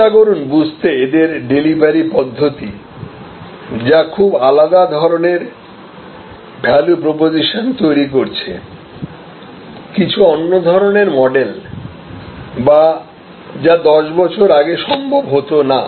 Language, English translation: Bengali, And try to understand that, what is the delivery mechanism that is creating some unique value propositions, some unique models which would not have been possible 10 years back